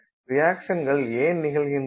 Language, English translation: Tamil, So, why do the reactions occur